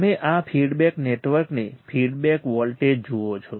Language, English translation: Gujarati, You see this feedback network right feedback voltage